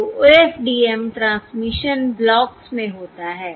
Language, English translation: Hindi, So the OFDM transmission, um, takes place in blocks